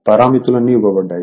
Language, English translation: Telugu, So, all these parameters are given